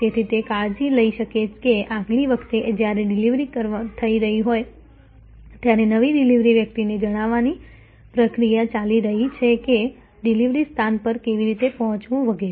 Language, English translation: Gujarati, So, that it can take care that next time a delivery is being made, there is a process are briefing a new delivery person that how to reach the destination and so on